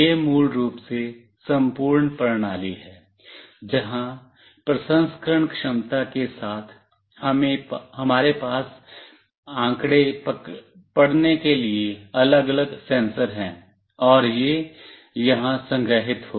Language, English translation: Hindi, This is basically the overall system, where along with processing capability, we have different sensors to read the data, and it will get stored here